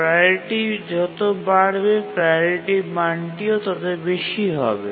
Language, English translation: Bengali, So the higher the priority value, the higher is the priority